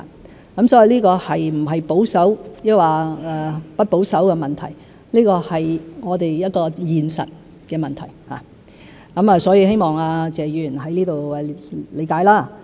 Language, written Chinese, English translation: Cantonese, 所以，這個不是保守或不保守的問題，而是我們一個現實的問題，希望謝議員可以理解。, Therefore it is not a matter of being conservative or not but a practical issue for us . I hope Mr TSE can understand